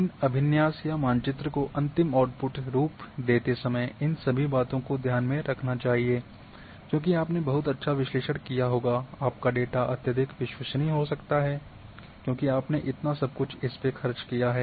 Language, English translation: Hindi, All these things one should keep in mind while preparing these layouts or map final outputs because you might have done very good analysis your data might be highly reliable everything you have spent